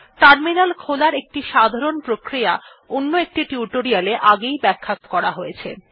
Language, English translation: Bengali, A general procedure to open a terminal is already explained in another spoken tutorial